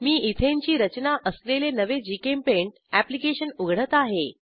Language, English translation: Marathi, I have opened a new GChemPaint application with Ethane structure